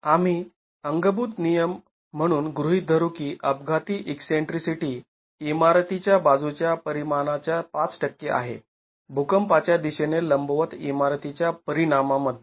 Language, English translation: Marathi, We will assume as a thumb rule the accidental eccentricity is 5% of the side dimension of the building, the dimension of the building perpendicular to the direction of the earthquake